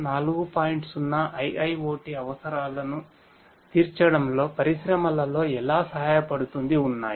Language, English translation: Telugu, 0 IIoT requirements that are there in the industries